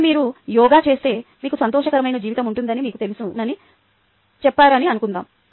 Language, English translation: Telugu, supposing you are told that you know if you do yoga you will have a happy life